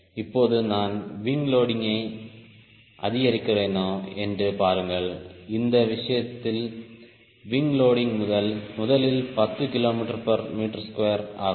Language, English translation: Tamil, now see if i increase wing loading, in this case wing loading first, two as ten k g per meter square